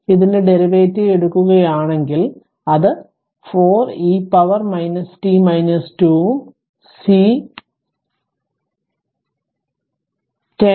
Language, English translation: Malayalam, So, if we if you take the derivative of this one, it will become minus 4 into e to power minus t minus 2 right and C is 10 into 10 to the power minus 6